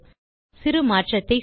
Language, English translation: Tamil, Now, let us make a small change